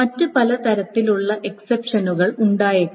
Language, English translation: Malayalam, So, there may be many other kinds of exception, etc